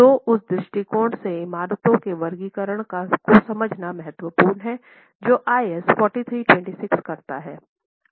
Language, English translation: Hindi, So, from that perspective it is is important to understand the categorization of buildings that IS 4326 does